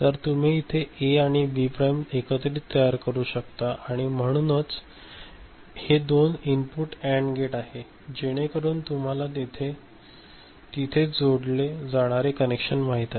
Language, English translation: Marathi, So, you can generate A and B prime put together and so this is a two input AND gate, so that is the you know connections that you are retaining there